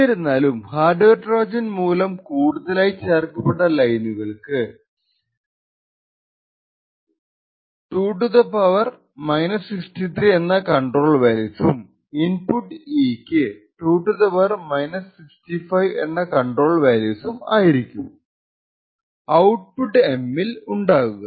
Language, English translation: Malayalam, However, the additional lines which is due to the hardware Trojan has a control value of 2 ^ , further the input E has a control value of 2 ^ on the output M